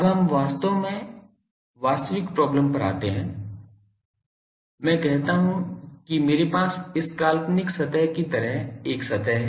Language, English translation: Hindi, Now, let us come to the actually actual problem; is let us say that I have a surface like this hypothetical surface